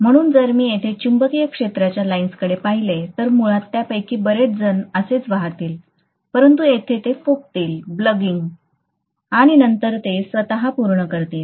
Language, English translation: Marathi, So if I look at the magnetic field lines here, basically many of them will flow like this, but here they will bulge and then again they will complete themselves (())(11:25)